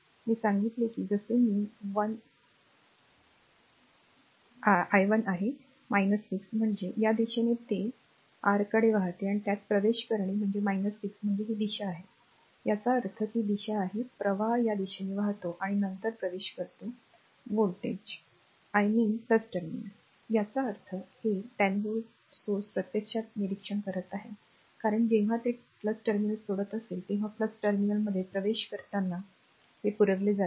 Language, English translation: Marathi, I told you that as i 1 is minus 6 means it is your what you call it is flowing to your in this direction , ah that entering in ah it is minus 6 means it is these direction right; that means, it is these direction current is current is flowing this direction then we entering into the voltage I mean plus terminal; that means, this 10 voltage source actually is observing power, because when it is leaving the plus terminal it is supplied when is entering the plus terminal it is your power observed